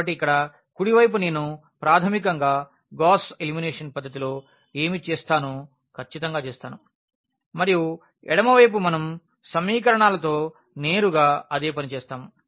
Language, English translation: Telugu, So, the right hand side here I will be basically doing precisely what we do in Gauss elimination method and the left hand side we will be doing the same thing with the equations directly